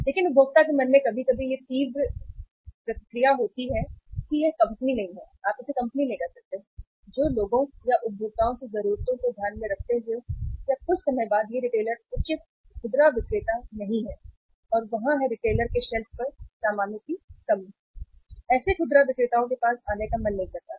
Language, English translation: Hindi, But in the mind of consumer sometime it gives a sharp reaction that this company is not the say uh you can call it as the company which takes care the needs of the people or the consumers or sometime this retailer is not the say appropriate retailer and uh there is a there is a shortage of the goods on the shelf of the retailer and they uh do not feel like to come back to such retailers